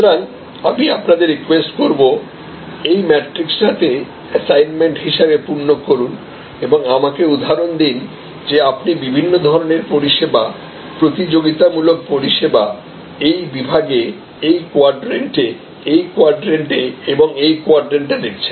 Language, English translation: Bengali, So, I would request you to as an assignment to populate this matrix and give me examples that how different types of services that you are competitive services, you see emerging in this segment, in this quadrant, in this quadrant and in this quadrant